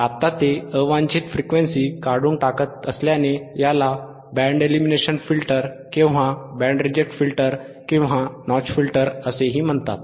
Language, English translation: Marathi, Now, since it eliminates frequencies, since it eliminates a frequencies unwanted frequencies, it is also called it is also called band elimination filter; it is also called band elimination filter or band reject filter band reject filter or notch filter